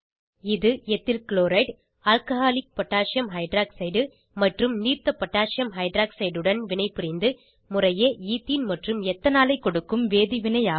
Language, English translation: Tamil, This is a chemical reaction of Ethyl chloride with Alcoholic Potassium hydroxide and Aqueous Potassium hydroxide to yield Ethene and Ethanol respectively